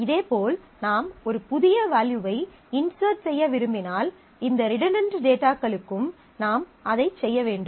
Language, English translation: Tamil, Similarly, if I want to insert a new value, I will have to do that for all this redundant information